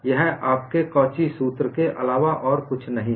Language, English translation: Hindi, It is nothing but your Cauchy's formula; as simple as that